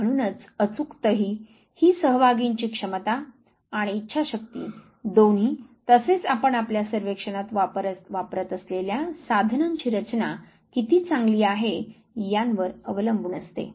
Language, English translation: Marathi, And therefore, accuracy depends upon the ability in willingness of the participant both as well as how good is the construction of the items that you are using in your survey